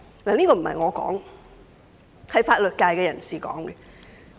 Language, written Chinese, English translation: Cantonese, 這並不是我說的，而是法律界人士的意見。, This is not my own view but the view of those from the legal sector